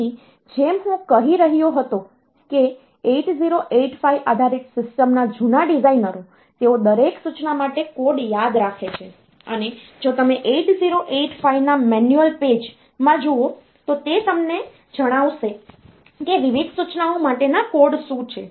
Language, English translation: Gujarati, So, as I was telling so, older designers of 8085 based systems; so they remembered the code off for each and every instruction and also, if you look into the manual pages of 8085